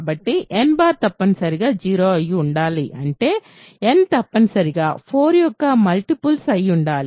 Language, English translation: Telugu, So, n bar must be 0; that means, n must be a multiple of 4